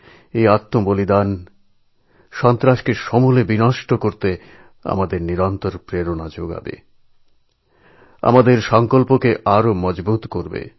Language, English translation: Bengali, This martyrdom will keep inspiring us relentlessly to uproot the very base of terrorism; it will fortify our resolve